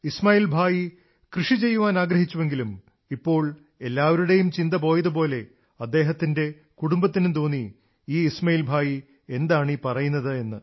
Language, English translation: Malayalam, Ismail Bhai wanted to do farming, but, now, as is these general attitude towards farming, his family raised eyebrows on the thoughts of Ismail Bhai